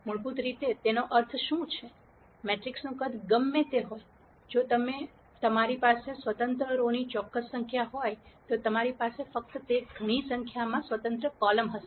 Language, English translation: Gujarati, What it basically means is, whatever be the size of the matrix, if you have a certain number of independent rows, you will have only those many numbers of independent columns and so on